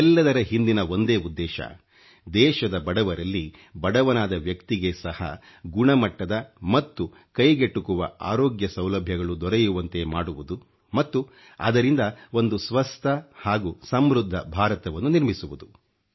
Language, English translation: Kannada, The sole aim behind this step is ensuring availability of Quality & affordable health service to the poorest of the poor, so that a healthy & prosperous India comes into being